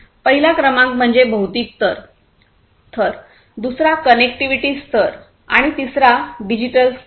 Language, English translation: Marathi, Number one is the physical layer, second is the connectivity layer and the third is the digital layer